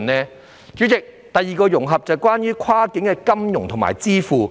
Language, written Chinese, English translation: Cantonese, 代理主席，第二個融合是關於跨境金融和電子支付。, Deputy President the second integration is related to cross - border financial services and electronic payment